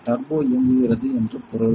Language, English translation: Tamil, Means turbo is running